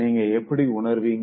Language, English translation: Tamil, How would you feel